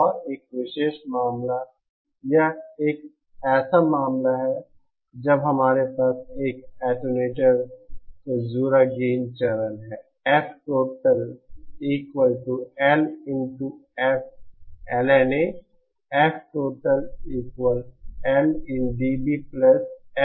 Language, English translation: Hindi, And special case, this is the case when we have the gain stage connected to an attenuator